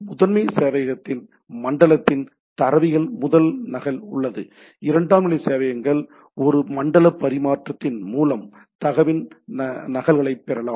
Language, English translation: Tamil, The primary server contains the master copy of the data of the zone; secondary servers can get copies of the data through a zone transfer